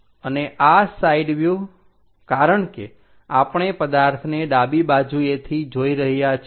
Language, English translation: Gujarati, And this side view because we are looking from left side of the object